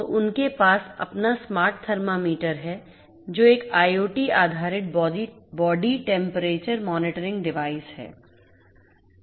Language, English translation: Hindi, So, they have their smart thermometer which is an IoT based body temperature monitoring device